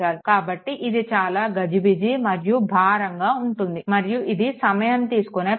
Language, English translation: Telugu, So, this is very mush your cumbersome, and it is time consuming process